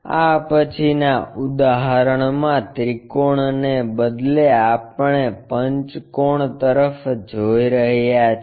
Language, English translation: Gujarati, In this next example instead of a triangle we are looking at a pentagon